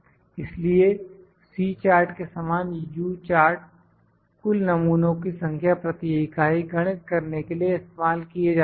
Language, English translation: Hindi, So, similar to C chart, the U chart is used to calculate the total number of defects per unit